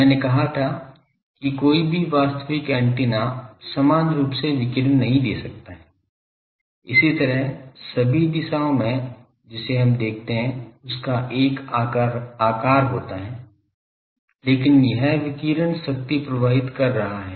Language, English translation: Hindi, I have said that no antenna no real antenna can radiate equally, similarly all direction that will see just now that there is a shape of that, but it is having radiation power is flowing out